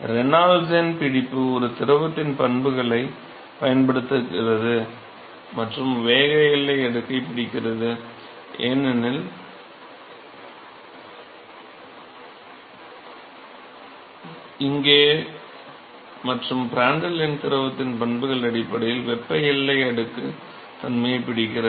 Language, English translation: Tamil, And Reynolds number captures uses the properties of a fluid and captures the momentum boundary layer because here and Prandtl number captures the thermal boundary layer behavior based on the properties of the fluid